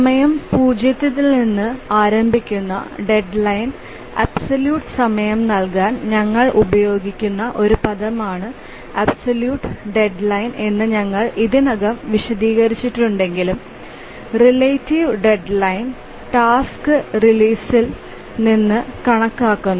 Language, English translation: Malayalam, And we already explained the absolute deadline is a terminology we use to give absolute time to the deadline starting from time zero, whereas relative deadline is counted from the release of the task